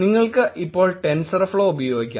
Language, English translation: Malayalam, You could actually use Tensorflow now